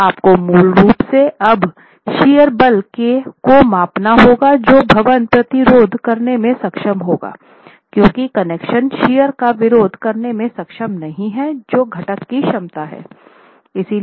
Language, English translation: Hindi, So, you basically have to now scale down the sheer force that the building will be able to resist because the connections are not able to resist the sheer capacity that the components have